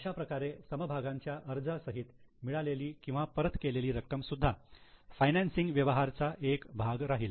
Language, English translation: Marathi, So, share application money received or returned, both will be also part of financing transaction